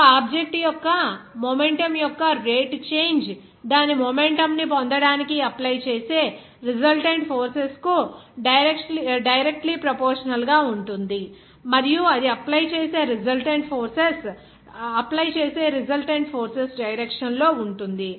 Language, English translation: Telugu, The rate of change of that momentum of an object is directly proportional to the resultant forces that is applied to get its momentum and is in the direction of the resultant force at which it will be applied